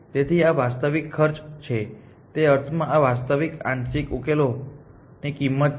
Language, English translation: Gujarati, So, these are actual cost in the sense these are cost of actual partial solutions found